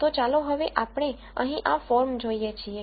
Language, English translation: Gujarati, So, now, let us look at this form right here